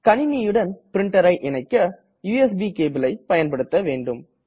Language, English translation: Tamil, To connect a printer to a computer, we have to use a USB cable